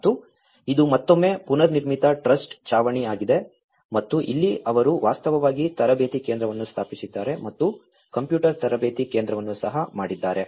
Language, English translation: Kannada, And this is again a prefabricated trussed roof and here they have actually established a training center even computer training center as well